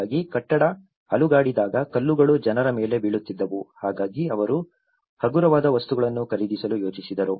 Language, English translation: Kannada, So, when the building shakes obviously, the stones used to fell down on the people, so that is where they thought of going for lightweight materials